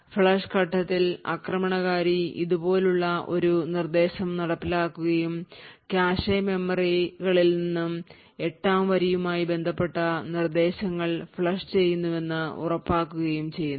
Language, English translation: Malayalam, During the flush phase the attacker executes a line like this, during the flush phase the attacker executes an instruction such as this and ensures that instructions corresponding to line 8 are flushed from the cache memories